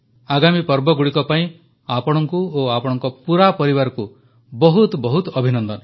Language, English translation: Odia, My best wishes to you and your family for the forthcoming festivals